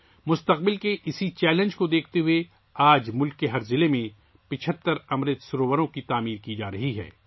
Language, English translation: Urdu, Looking at this future challenge, today 75 Amrit Sarovars are being constructed in every district of the country